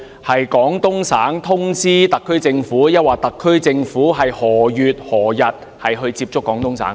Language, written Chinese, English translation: Cantonese, 是廣東省政府通知特區政府，還是特區政府在何月何日接觸廣東省政府？, Was it the Guangdong authorities or the HKSAR Government who notified the other side first and on what day and in what month did the communication take place?